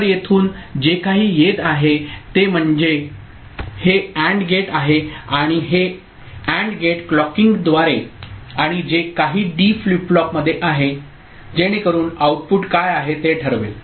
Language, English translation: Marathi, So, whatever is coming from here this AND gate and this AND gate through clocking and whatever is present in the D flip flop, so that will be deciding what is the output